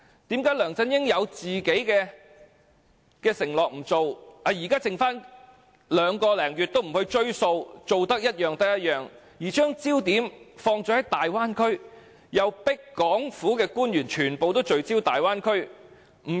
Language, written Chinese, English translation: Cantonese, 為何梁振英有自己的承諾不理，現時任期剩下兩個多月都不盡力去做，以兌現選舉承諾，反而將焦點放在大灣區，又強迫港府官員全部聚焦大灣區？, Why does LEUNG Chun - ying not pay attention to his own pledges and spare no efforts to deliver his campaign pledges in the remaining two months and so of his term of office but rather focus on the Bay Area and force all the government officials to do the same?